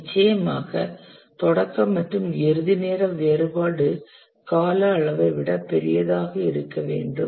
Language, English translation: Tamil, Of course, the start and end time difference must be larger than the duration